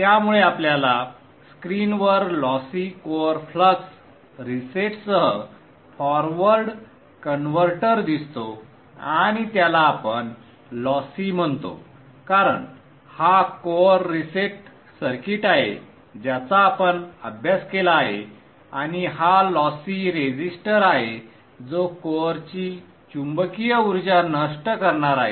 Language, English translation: Marathi, So if we open this forward converter schematic, so you will see on the screen the forward converter with lossy core flux reset, calling it lossy because this is the core reset circuit which we studied and this is the lossy resistor which is going to dissipate the magnetizing energy out of the core